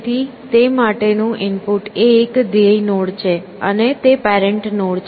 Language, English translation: Gujarati, So, the input to that is a goal node and it is parent node